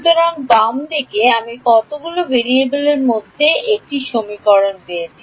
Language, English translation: Bengali, So, left hand side I have got one equation in how many variables